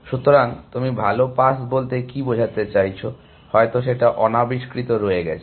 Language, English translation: Bengali, So, what do you mean by saying better pass may be left unexplored